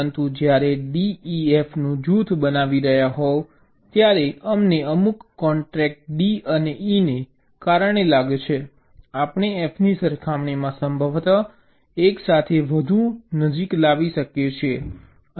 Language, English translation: Gujarati, but when you are grouping d e, f, we find because of some constraint, d and e we can possibly bring closer together, much more as compared to f